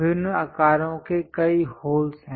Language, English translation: Hindi, There are many holes of different sizes